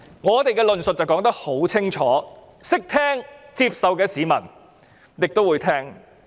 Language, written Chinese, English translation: Cantonese, 我們的論述十分清楚，聽得懂、會接受的市民便會聆聽。, Our argument is very clear . Members of the public who can understand and accept it will listen to it